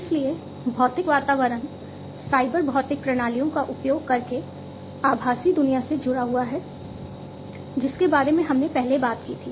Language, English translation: Hindi, So, the physical environment is linked with the virtual world using cyber physical systems which we talked about earlier